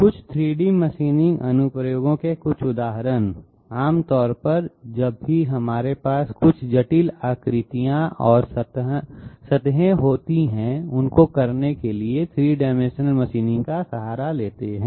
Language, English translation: Hindi, Some examples of some 3D machining applications, generally whenever we have some complex shapes and surfaces to be machined out, we resort to 3 dimensional machining